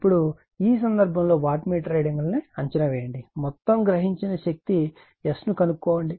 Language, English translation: Telugu, Now, in this case , you are predict the wattmeter readings find the total power absorbed rights